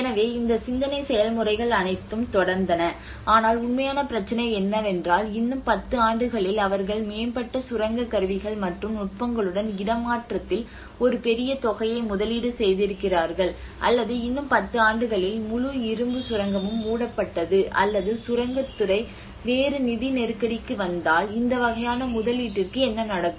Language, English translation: Tamil, So all these thought process has went on but the real problem is let us say in another 10 years they have invested a huge amount of money in the relocation with the advanced mining tools and techniques let us say in another 10 years the whole mine is closed or if the mining sector comes into a different financial crunch you know so what happens then what happens to this kind of investment